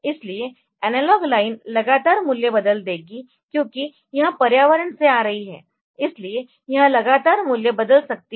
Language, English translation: Hindi, So, analog line will continually change it is value because it is coming from the environment so, it can continually change it is value